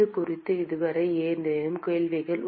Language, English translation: Tamil, Any questions on this so far